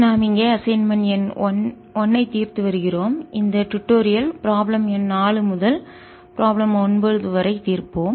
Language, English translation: Tamil, we have been assignment number one and this tutorial we'll solve from problem four to problem number nine